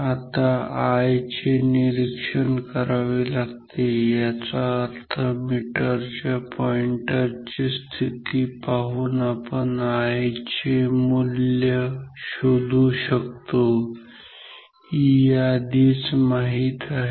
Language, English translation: Marathi, Now, I is observed; that means, by looking at the pointer position of the ammeter we can find the value of I; E it is already known